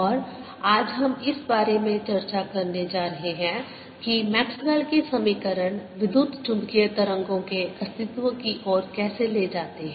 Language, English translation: Hindi, will be talking about maxwell equations, and what we going to do today is talk about how maxwell's equations lead to existence of electromagnetic wave